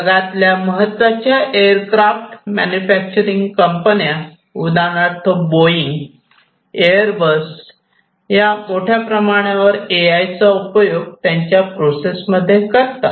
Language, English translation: Marathi, All these top you know aircraft manufacturers like Boeing, Airbus etcetera, they use AI heavily in their processes